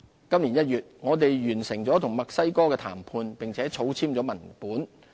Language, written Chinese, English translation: Cantonese, 今年1月，我們完成了與墨西哥的談判，並草簽了文本。, We concluded the negotiation with Mexico and initialled the draft text in January this year